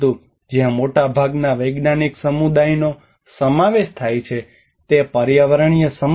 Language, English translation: Gujarati, Where the most of the scientific community are involved, it is an environmental problem